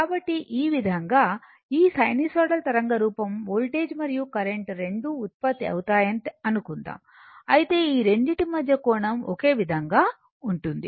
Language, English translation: Telugu, So, this way suppose this sinusoidal waveform voltage and current both are generated, but angle between these 2 are remain same